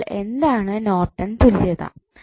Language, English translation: Malayalam, So, what does Norton's Theorem means